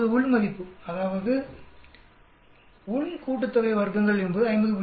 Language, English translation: Tamil, Now within, that is within sum of squares is 50